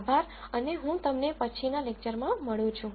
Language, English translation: Gujarati, Thank you and I will see you in the next lecture